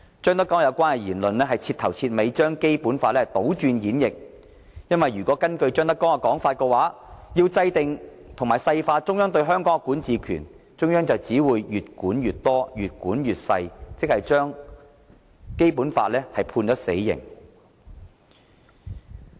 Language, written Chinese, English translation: Cantonese, 張德江的有關言論徹頭徹尾地把《基本法》倒轉演繹，因為根據張德江的說法，要制訂和細化中央對香港的管治權，中央只會越管越多，越管越細微，這等於把《基本法》判死刑。, ZHANG Dejiangs remarks have completely changed the interpretation of the Basic Law for according to him the Central Authorities governance over Hong Kong will become more extensive and microscopic . This is tantamount to imposing a death sentence on the Basic Law